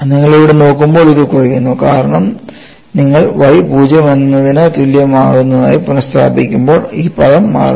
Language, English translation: Malayalam, And when you look at here, this simply reduces, because when you substitute y equal to 0, this term knocks off